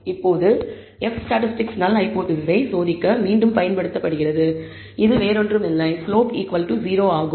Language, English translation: Tamil, Now the F statistic is again used to test the null hypothesis which is nothing, but slope equal to 0